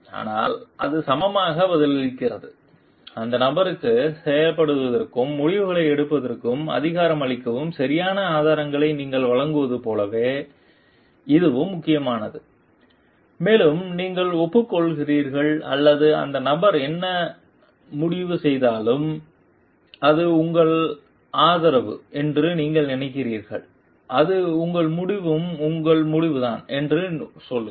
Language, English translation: Tamil, But, it is equally respond it is equally important like you give the proper resources for the person to perform and empower that person to take decisions and also you agree or you think like whatever the person decides you tell like it is you support that it is your decision also